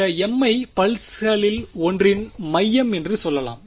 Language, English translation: Tamil, Where m let us say is the centre of one of these pulses